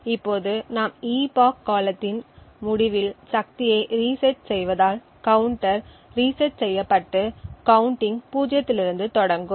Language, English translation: Tamil, Now since we reset the power at the end of the epoch the counter would reset and start counting gain to zero